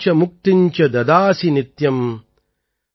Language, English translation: Tamil, Bhuktim cha muktim cha dadasi nityam,